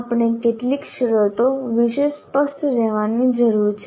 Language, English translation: Gujarati, Now we need to be clear about a few terms